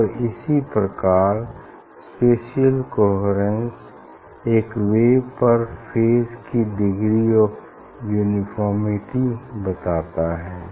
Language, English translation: Hindi, And the similar way this spatial coherence it tells out the degree of uniformity of phase on a wave front